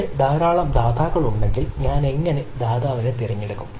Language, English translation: Malayalam, if there a number of provider, then how do i choose the provider